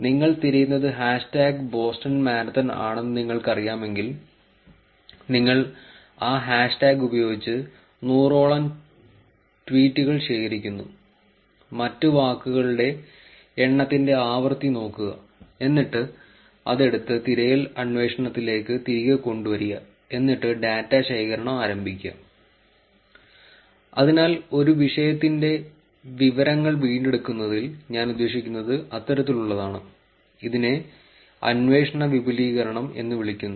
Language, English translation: Malayalam, If you just know that hash tag boston marathon is what you are looking for, you take that hash tag collects some hundred tweets, look at the frequency of the count of other words and then, take that and then put them back into the search query and start collecting the data for that, so that is the kind of I mean in information retrieval kind of a topics, this is referred as query expansion